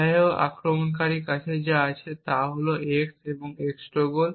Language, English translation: Bengali, However, what the attacker only has is x and the x~